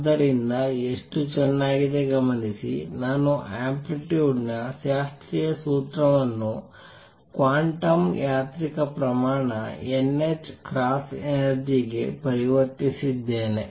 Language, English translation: Kannada, So, notice how beautifully, I have actually converted a classical formula for amplitude to a quantum mechanical quantity n h cross energy